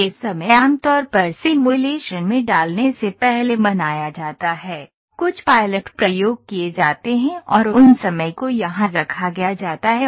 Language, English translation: Hindi, These times are generally observed before putting into simulation, a few pilot experiments are conducted and those times are put in here